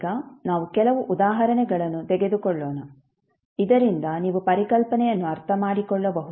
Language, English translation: Kannada, Now, let us take few of the examples so that you can understand the concept